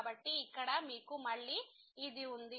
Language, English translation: Telugu, So, here you have again